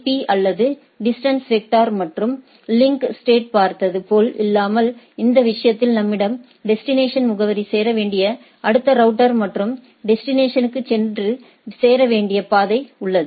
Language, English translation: Tamil, Unlike if you look at OSPF and RIP or distance vector and link state, in this case, we have the destination address, next router to be hit and the path to reach the destination